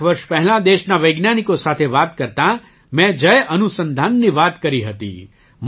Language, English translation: Gujarati, A few years ago, while talking to the scientists of the country, I talked about Jai Anusandhan